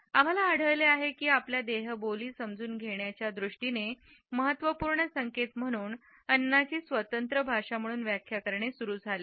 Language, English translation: Marathi, We find that food has started to be interpreted as an independent language as an important clue in terms of our understanding of body language